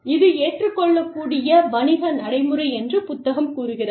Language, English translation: Tamil, The book says, it is an acceptable business practice